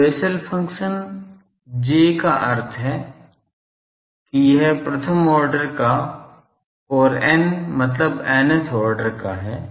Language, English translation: Hindi, So, Bessel function this is J means it is the first kind and n means of order n ok